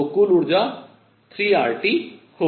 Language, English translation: Hindi, So, the total energy is going to be 3 R T